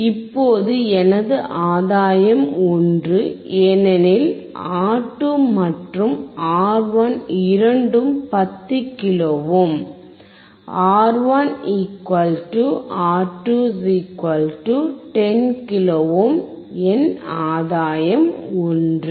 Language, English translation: Tamil, Now my gain is 1, because R2 and R1 both are 10 kilo ohm, R1 = R2 = 10 kilo ohm so, my gain is 1